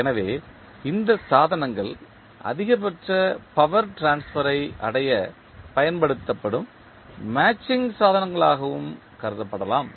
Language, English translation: Tamil, So, these devices can also be regarded as matching devices used to attain maximum power transfer